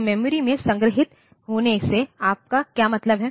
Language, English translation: Hindi, So, what do you mean by stored in memory